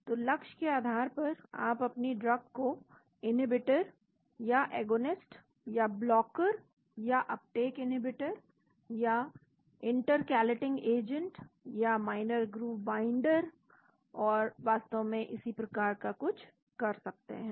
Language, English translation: Hindi, So, depending upon the target you call your drug as inhibitor or agonist or blocker or uptake inhibitor or intercalating agent or minor groove binder and so on actually